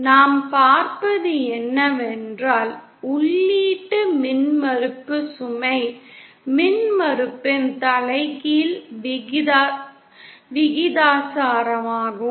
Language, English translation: Tamil, So what we see is that the input impedance is proportional to the inverse of the load impedance